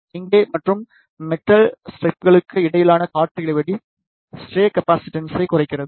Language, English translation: Tamil, Here the air gap between the substrate and the metallic strips reduces the stray capacitance